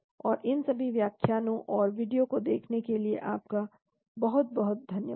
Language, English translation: Hindi, And thank you for going through all these lectures and videos , thank you very much